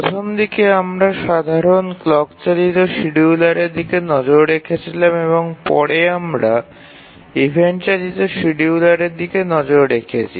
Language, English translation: Bengali, Initially we looked at simple, even simple clock driven schedulers and later we have been looking at event driven schedulers